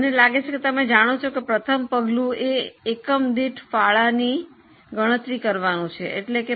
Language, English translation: Gujarati, I think most of you know by now that the first step is calculating the contribution per unit